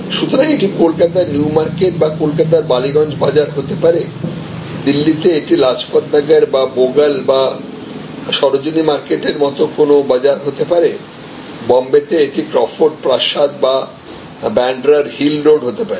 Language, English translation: Bengali, So, it may be new marketing Calcutta or Balogun market in Calcutta it can be Lajpat Nagar market or different other local markets like Bogal in Delhi or Sarojini market it will be the Crawford palace or something in Mumbai or it could be the Bandra hill road in Mumbai